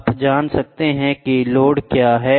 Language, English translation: Hindi, You can know what is the load, what is the weight